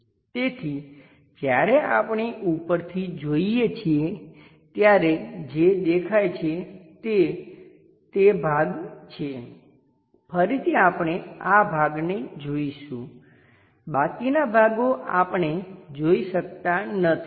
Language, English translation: Gujarati, So, when we are looking from top view what is visible is that portion, again we will see this portion the remaining portions we can not visualize